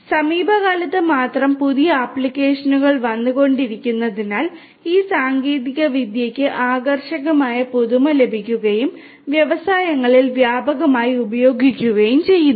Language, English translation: Malayalam, But only in the recent times, because of the newer applications that are coming up, these technologies have got renewed attractiveness and are being used popularly in the industries